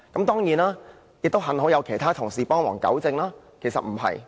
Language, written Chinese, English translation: Cantonese, 當然，幸好有其他同事幫忙糾正，其實並不是這樣的。, Fortunately some other Members have helped to correct this perception clarifying that this is not the case